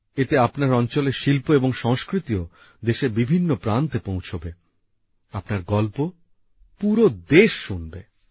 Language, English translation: Bengali, Through this the art and culture of your area will also reach every nook and corner of the country, your stories will be heard by the whole country